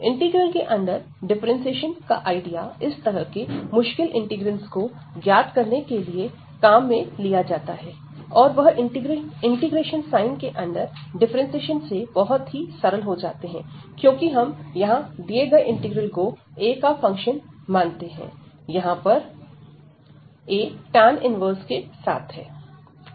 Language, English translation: Hindi, So, this idea of this differentiation under integral is very often used to compute such complicated integrals, and they become very simple with the idea of this differentiation under integration sign, because we consider actually in this case this integral the given integral as a function of a, because the a is there as the tan inverse